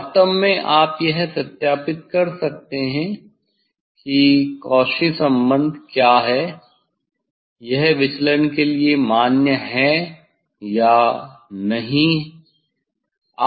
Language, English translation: Hindi, you will get the straight line actually you can verify whether Cauchy s this relation is it is valid for the deviation or not